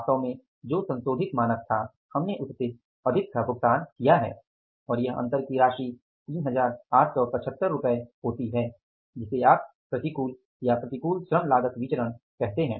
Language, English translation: Hindi, What was the devised standards, pre devised standards were actually we have paid more than that and that difference comes up as by an amount of 3875 which you call it as the adverse or the unfavorable labor cost variance